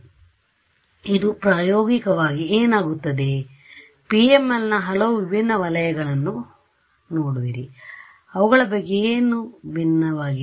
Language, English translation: Kannada, So, this in practice what happens is you break up this there are these many distinct regions of the PML what is distinct about them